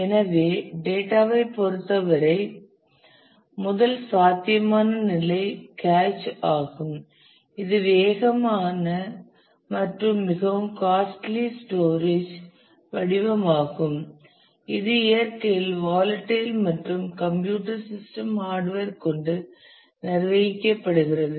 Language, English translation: Tamil, So, in terms of data the first possible level is the cache which is the fastest and most costly form of storage it is volatile in nature and is managed by the computer system hardware